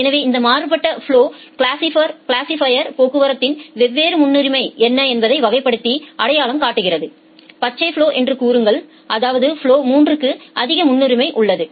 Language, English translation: Tamil, So, this from this different flows the classifier identifies that what are the different priority of traffic, say the green flow; that means, flow 3 has the highest priority